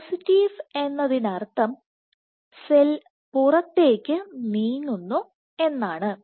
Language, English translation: Malayalam, So, positive mean so the cell is migrating outward